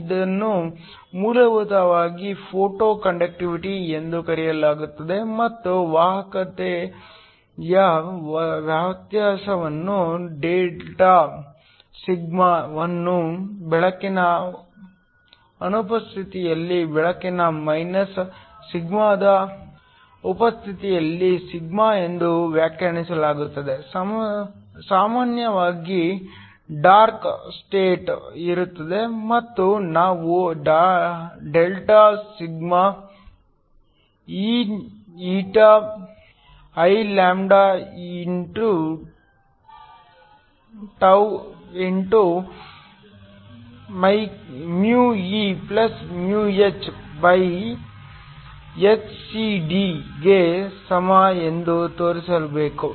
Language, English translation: Kannada, This is essentially called Photo conductivity and the difference in conductivity delta sigma is defined as sigma in the presence of light minus sigma in the absence of light, typically there is a dark state and we have to show that delta sigma is equal to eηIλτ(e+h)hcD